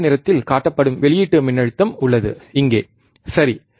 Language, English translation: Tamil, Graph is very easy there is a input voltage shown in blue colour here, right